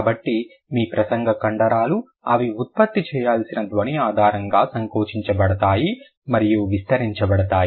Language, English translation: Telugu, So, your speech muscles they get contracted and expanded on the basis of the kind of sound that they have to produce